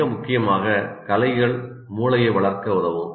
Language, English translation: Tamil, And more importantly, arts can help develop the brain